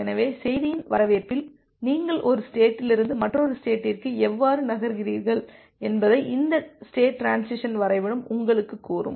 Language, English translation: Tamil, So, this state transition diagram will tell you that on reception of which message, how you are moving from one state to another state